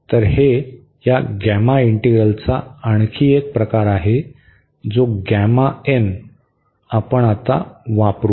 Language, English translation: Marathi, So, this is another form of this gamma integral which we will use now